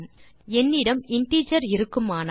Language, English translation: Tamil, Say I have an integer